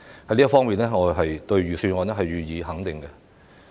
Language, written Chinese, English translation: Cantonese, 在這方面，我會對預算案予以肯定。, I would like to give due recognition to the Budget in this regard